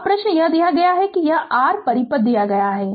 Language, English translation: Hindi, Now, question is it is given your this circuit is given